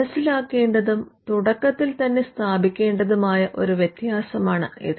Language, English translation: Malayalam, Now, this is a distinction that is important to be understood and to be established at the outset